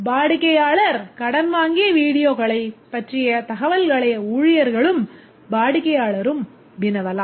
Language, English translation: Tamil, The staff and customer can query information about a customer's borrowed videos